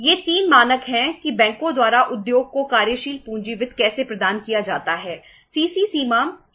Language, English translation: Hindi, These are the 3 norms how the working capital finance is provided by the banks to the industry